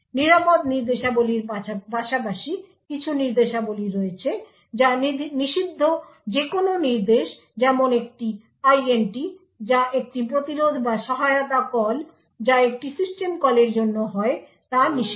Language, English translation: Bengali, Besides the safe instructions there are certain instructions which are prohibited any instructions like an int which stands for an interrupt or assist call which stands for a system call is prohibited